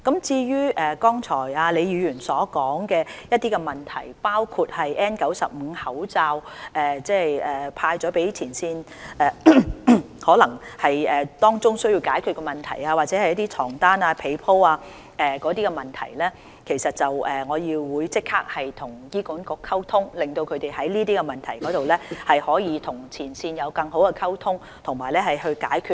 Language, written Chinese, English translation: Cantonese, 至於剛才李議員所說的一些問題，包括派發給前線人員的 N95 口罩，可能當中有需要解決的問題，又或是床單被鋪等問題，我會立即向醫管局反映，讓他們就這些問題跟前線有更好的溝通，作出解決。, As regards the several problems raised by Prof LEE just now including the N95 masks distributed to frontline personnel there may be issues that need to be resolved or the problems with bed sheets and bedding etc I will reflect them to HA immediately so that they can have better communication with the frontline personnel on such problems and solve them